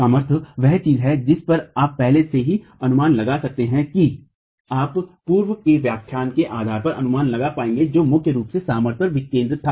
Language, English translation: Hindi, Strength is something you've already been able to estimate based on the, you'll be able to estimate based on the previous lectures which focus primarily on strength